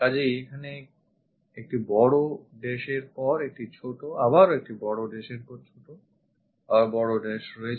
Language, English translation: Bengali, So, here that big dash, small, again big one, small, big one, small and big one